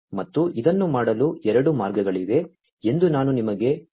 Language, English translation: Kannada, And as I was telling you that there are two ways of doing this thing